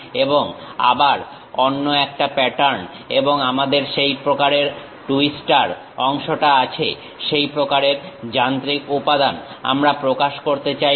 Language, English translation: Bengali, And again another pattern and we have that twister kind of portion, such kind of machine element we would like to really represent